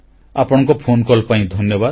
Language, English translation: Odia, Thank you for your phone call